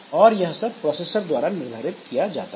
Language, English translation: Hindi, So, this is fixed by the processor